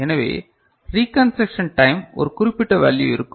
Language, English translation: Tamil, So, reconstruction time a has a certain value right